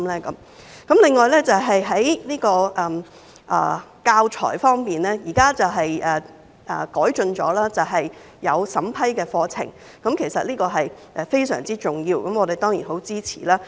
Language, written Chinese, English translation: Cantonese, 此外，在教材方面，現時已經有改進，對課程作出審批，這是非常重要的，我們當然十分支持。, As regards teaching materials there is now improvement with the review of curriculum which is very important and certainly has our full support